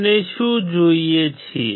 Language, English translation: Gujarati, What we see